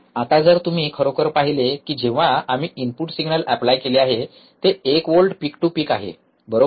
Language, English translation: Marathi, Now, if you really see that when we have applied the input signal which is one volt peak to peak, right